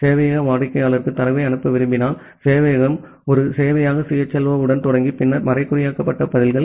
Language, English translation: Tamil, And if the server wants to send data to the client, server start with a server CHLO and then the encrypted responses